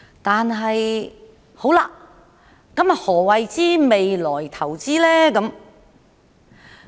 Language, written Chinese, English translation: Cantonese, 但是，何謂"為未來投資"呢？, But what is meant by investing for the future?